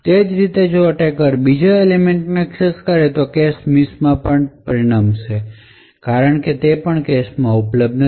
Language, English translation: Gujarati, Similarly if the attacker accesses the second element it would also result in a cache miss because it is not available in the cache